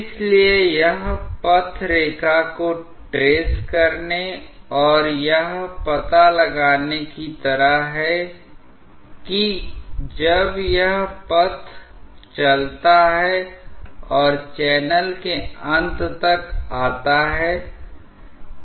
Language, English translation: Hindi, So, it is just like tracing the path line and finding it out when along that path it moves and comes to the end of the channel